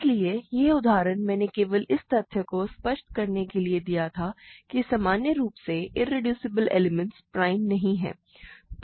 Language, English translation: Hindi, So, this example I did only to illustrate the fact that in general irreducible elements are not prime